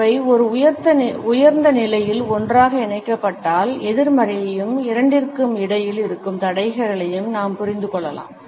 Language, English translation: Tamil, If they are clenched together in a higher position then we can understand at the negativity as well as the barriers which exist between the two are higher